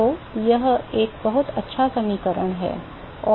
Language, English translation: Hindi, So, that is a pretty good equation and